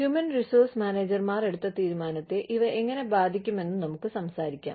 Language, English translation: Malayalam, Let us talk about, how these, whatever, we have studied till now, will affect the decisions, made by human resources managers